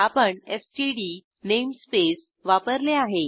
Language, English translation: Marathi, Here we have used std namespace